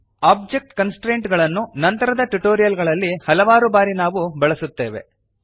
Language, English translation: Kannada, We will be using object constraints many times in later tutorials